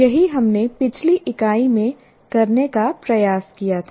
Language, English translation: Hindi, That's what we tried to do in the earlier unit